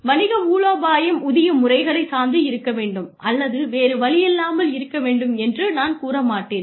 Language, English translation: Tamil, I would not say, business strategy should be dependent on pay systems, or the other way around